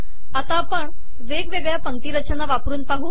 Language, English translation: Marathi, We will now try different alignments